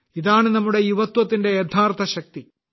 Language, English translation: Malayalam, This is the real strength of our youth